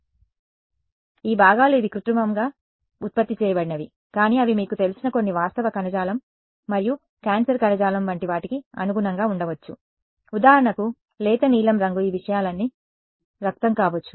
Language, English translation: Telugu, So, those components these are synthetically generated, but they could correspond to something you know some fact tissue and cancerous tissue the light blue could be for example, blood all of these things